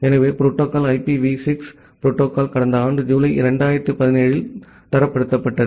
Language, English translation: Tamil, So, the protocol became the IPv6 protocol became standardized just last year around July 2017